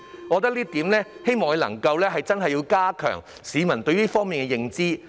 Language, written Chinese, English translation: Cantonese, 我希望局長能夠加強市民對這方面的認知。, I hope that the Secretary will enhance the publics knowledge in this area